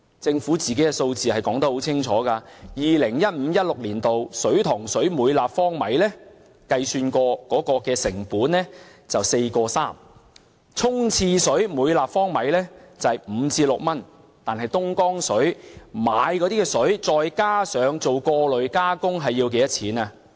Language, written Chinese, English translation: Cantonese, 政府的數字說得很清楚，在 2015-2016 年度，水塘水每立方米經計算後的成本是 4.3 元，沖廁水每立方米是5元至6元，但購買東江水後再加上過濾加工要多少錢？, The figures provided by the Government are very clear in 2015 - 2016 the unit cost of fresh water produced from Hong Kong reservoir water amounted to 4.3 per cubic meter flushing water amounted to 5 to 6 but what is the cost for the procurement of the Dongjiang water plus the filtration and treatment works?